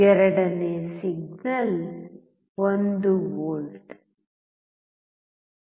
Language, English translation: Kannada, Second signal is 1V